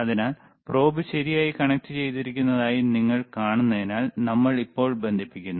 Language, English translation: Malayalam, So, we are now connecting the probe as you see the probe is connected ok